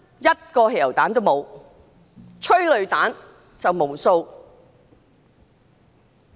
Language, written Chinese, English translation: Cantonese, 一個汽油彈都沒有，有的是無數的催淚彈。, No petrol bombs had been hurled yet countless tear gas canisters were fired